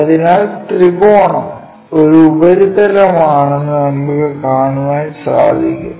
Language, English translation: Malayalam, So, we will see a triangle is the surface